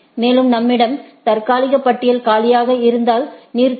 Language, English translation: Tamil, And, this is the, and if we have the tentative list is empty then stop